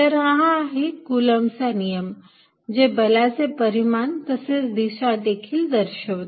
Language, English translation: Marathi, So, these are this is the Coulomb's law, it gives the magnitude as well as the direction of the force